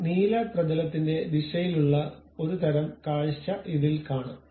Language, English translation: Malayalam, This tells you a kind of view in the direction of that blue surface